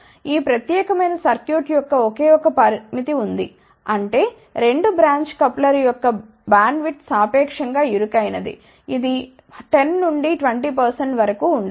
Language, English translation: Telugu, There is a only 1 limitation of this particular circuit, that is that the bandwidth of A 2 branch coupler is relatively narrow it may be about 10 to 20 percent So, this attenuator will work in 10 to 20 percent region